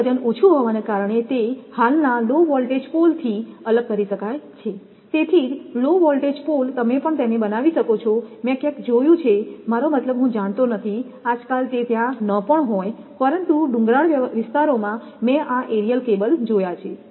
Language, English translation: Gujarati, Due to it is low weight it can be suspended from the existing low voltage poles; that is why low voltage pole also you can make it I have seen somewhere I mean I do not know, nowadays it may not be there, but in hilly areas I have seen this aerial cable